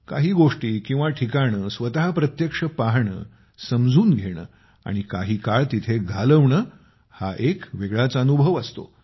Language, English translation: Marathi, Seeing things or places in person, understanding and living them for a few moments, offers a different experience